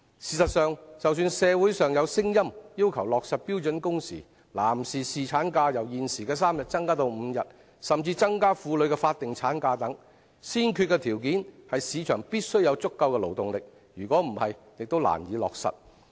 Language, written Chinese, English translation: Cantonese, 事實上，儘管社會上有聲音要求落實標準工時、將男士侍產假由現時的3天增至5天，甚至增加婦女的法定產假，但先決條件是市場必須有足夠的勞動力，否則也難以落實。, In fact despite the voices in the community calling for the implementation of standard working hours and the extension of paternity leave from the current three days to five days and even the increase of statutory maternity leave for women the prerequisite is that the market must have sufficient labour force or it will be difficult to implement